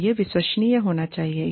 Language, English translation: Hindi, And, it should be credible